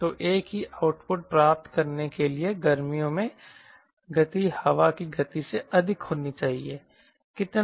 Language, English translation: Hindi, so to get the same output, the speed and summer should be more than speed at wind